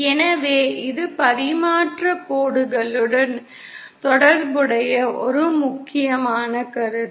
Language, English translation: Tamil, So this is one important concept associated with transmission lines